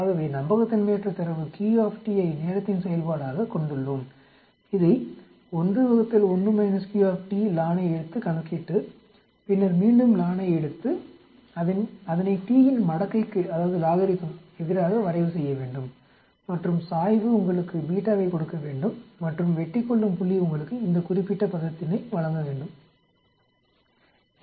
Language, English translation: Tamil, So we have the unreliability data q t as a function of time, we calculate this by taking 1 by 1 minus q t lon then again lon and then plot that against logarithm of t and the slope should give you beta and intercept should give you this particular term